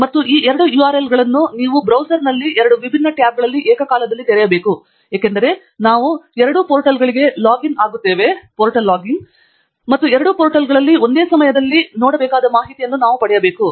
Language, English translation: Kannada, And these two URLs should be opened simultaneously in two different tabs in your browser, because we will be logging into both the portals and we will need the information to be seen simultaneously in both the portals